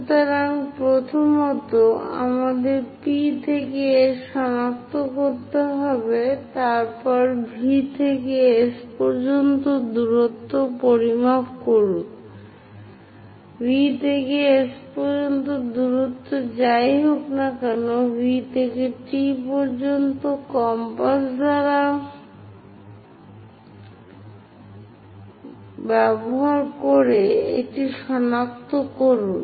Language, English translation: Bengali, After that measure the distance from V to S; from V to S whatever the distance is there, using compass from V to T also locate it